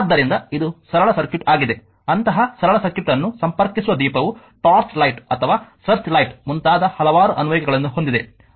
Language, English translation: Kannada, So, this is the simple circuit so, a lamp connecting such a simple circuit has several applications such as your torch light or search light etc